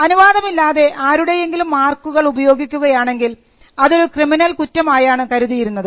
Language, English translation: Malayalam, These were the provisions by which if someone used a mark without authorization that was regarded as a criminal offence